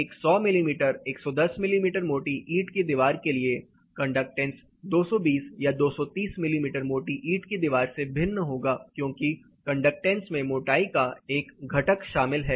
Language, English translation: Hindi, Conductance for a 100 mm thick brick wall 110 mm thick brick wall would be different from at 220 or 230 mm thick brick wall, because conductance is a includes a factor of thickness here